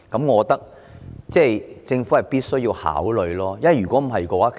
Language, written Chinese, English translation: Cantonese, 我認為政府必須考慮這一點。, I think the Government must consider this